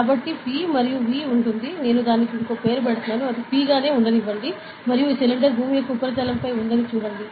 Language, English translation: Telugu, So, there is P and V, I am just naming it as ok, let it be P and see this cylinder is on the surface of earth